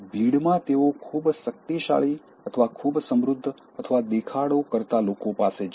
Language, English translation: Gujarati, In crowd, they will go to the most powerful or very rich or showy people